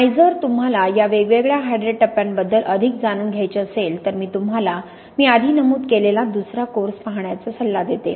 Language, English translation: Marathi, And if you want to know more about these different hydrate phases then I advise you to look at the other course I mentioned earlier